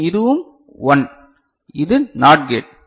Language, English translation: Tamil, Then this is also 1 this is not gate